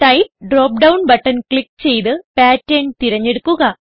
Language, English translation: Malayalam, Click on Type drop down button and select Pattern